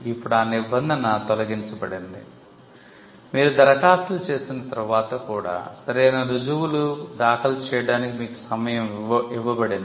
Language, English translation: Telugu, Now that provision has been removed, you have been given time to file a proof of right, even after you make the applications